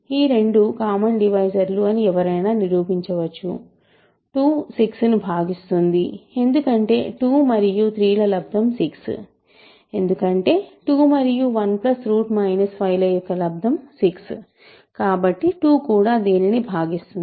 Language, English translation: Telugu, So, one can show that both are common divisor that is because 2 certainly divides 6, 2 times 3, 6, 2 also divides this 2 times 1 plus square root minus 5 is 6